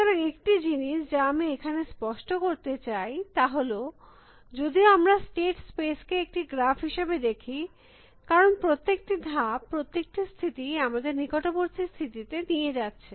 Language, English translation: Bengali, So, one thing that I should sort of clarify is that, even though we see the state spaces as a graph, because of every move we can go every state you can go to the neighboring states